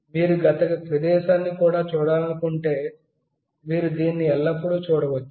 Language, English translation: Telugu, And if you want to see the past location as well, you always can see that